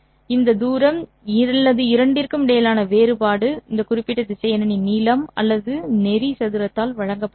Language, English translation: Tamil, And this distance or the difference between the two will be given by the length or the norm square of this particular vector